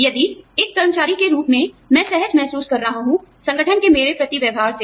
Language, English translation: Hindi, If, I as an employee, am feeling comfortable, with the way, my organization treats me